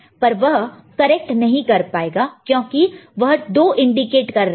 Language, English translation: Hindi, But it is not it cannot correct it because it is indicating 2, ok